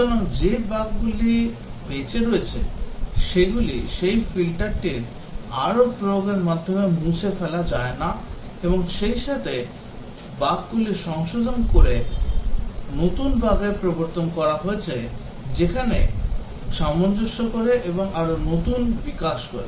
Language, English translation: Bengali, So, the bugs that are survive a filter cannot be eliminated by further application of that filter and also new bugs get introduced by correcting the bugs that where adjusting and also newer development and so on